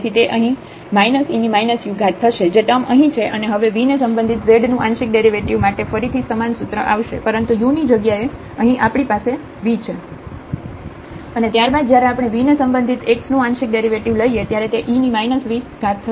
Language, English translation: Gujarati, So, it we will get here minus e power minus u which is the term here and now the partial derivative of z with respect to v again the similar formula, but instead of u we have v here and then when we take the partial derivative of x with respect to v